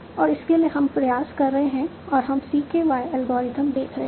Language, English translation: Hindi, And for that we are trying, we will be seeing CKY algorithm